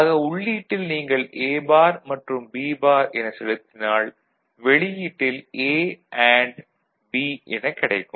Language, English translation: Tamil, So, at the input if you send complemented A and complimented B then you get A and B